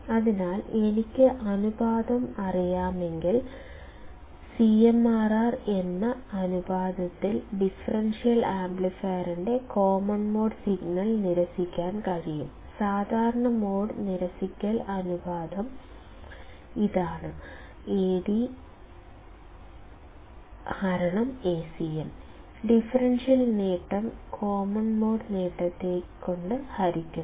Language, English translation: Malayalam, So, if I know the ratio; then the differential amplifier can reject the common mode signal by that ratio called CMRR; Common Mode Rejection Ratio, it is given by mod of Ad by Acm; differential gain divided by common mode gain